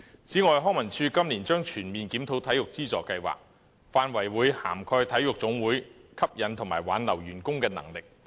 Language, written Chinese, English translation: Cantonese, 此外，康樂及文化事務署今年將全面檢討體育資助計劃，範圍涵蓋體育總會吸引和挽留員工的能力。, Moreover this year the Leisure and Cultural Services Department LCSD will conduct a comprehensive review of the Sports Subvention Scheme the scope of which will cover the ability of the national sports associations NSAs to attract and retain staff